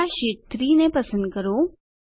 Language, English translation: Gujarati, First lets select Sheet 3